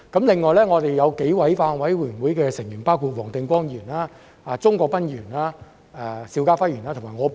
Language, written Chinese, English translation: Cantonese, 另外，我們有數位法案委員會委員，包括黃定光議員、鍾國斌議員、邵家輝議員和我。, There are other members of the Bills Committee including Mr WONG Ting - kwong Mr CHUNG Kwok - pan Mr SHIU Ka - fai and me